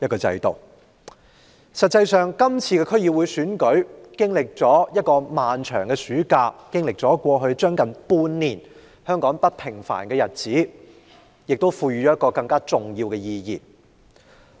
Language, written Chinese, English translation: Cantonese, 事實上，香港經歷了一個漫長的暑假，經歷了近半年不平凡的日子，區議會選舉更具重要意義。, On the contrary the DC Election is remarkably important after Hong Kong has gone through such a long summer six months of uneasy days